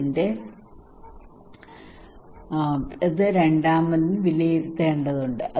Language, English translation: Malayalam, So I really need to judge second that this is good or not